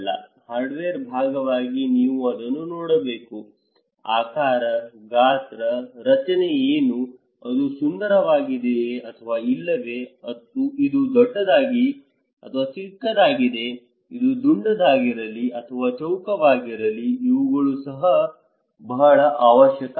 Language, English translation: Kannada, For hardware part, you need to watch it, what is the shape, size, structure, is it beautiful or not, is it big or small, okay is it round or square so, these are also very necessary